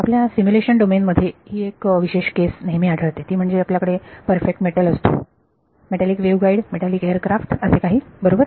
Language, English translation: Marathi, So a special case that often arises that in your simulation domain you have metal perfect metal: metallic waveguide, metallic aircraft, whatever right